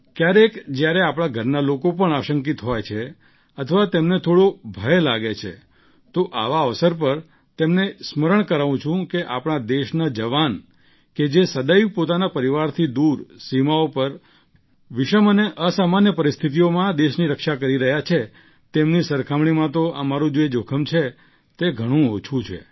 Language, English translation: Gujarati, Sometimes when our family members are apprehensive or even a little scared, on such an occasion, I remind them that the soldiers of our country on the borders who are always away from their families protecting the country in dire and extraordinary circumstances, compared to them whatever risk we undertake is less, is very less